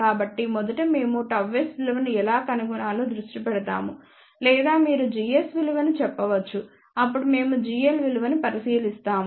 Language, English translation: Telugu, So, first we focus on how to find the value of gamma s or you can say the value of g s then we look at the g l value